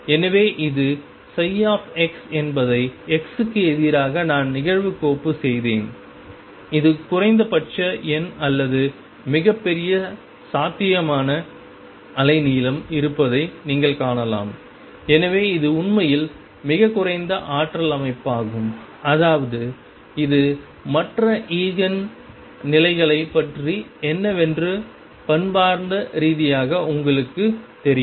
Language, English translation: Tamil, So, this is psi x I plotted against x you can see that it has minimum number or largest possible wavelength and therefore, it is really the lowest energy system I mean this is I am just telling you know very qualitative way what about other Eigen states